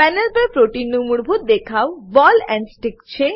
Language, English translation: Gujarati, The default display of the protein on the panel, is ball and stick